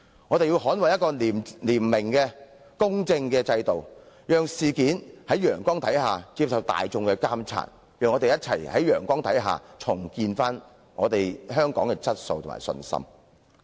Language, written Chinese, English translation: Cantonese, 我們要捍衞廉明、公正的制度，讓事件在陽光下接受大眾監察，讓我們共同在陽光下重建香港的質素和信心。, We have to strive for a clean and just system and the incident should be laid under the sun for public monitoring . Let us rebuild our confidence in the quality of Hong Kong under the sun